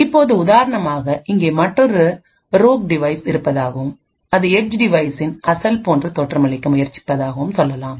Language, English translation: Tamil, Now for instance let us say that there is another rogue device that is present here and which is trying to masquerade as the original edge device